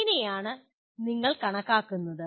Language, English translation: Malayalam, That is how do you calculate